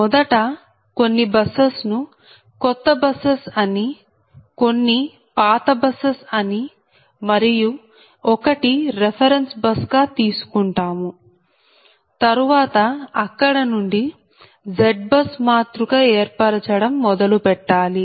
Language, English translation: Telugu, that for your question is: first is your, we have to say some old busses, new busses and the reference bus, and from there we have to start the construct, your forming that z bus matrix